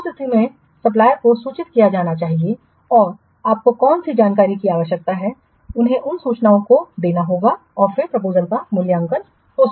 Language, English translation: Hindi, In that case, the supplier has to be informed and what information you require more, they have to give those information and then the evaluation of the proposals may take place